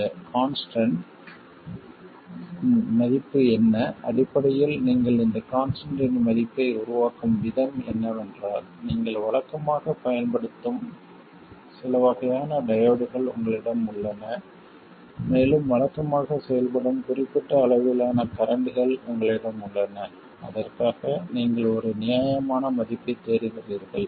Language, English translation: Tamil, Essentially the way you work out this constant value is you have certain types of diodes that you normally use and you have a certain range of currents that you normally operate at and for that you just look for a reasonable value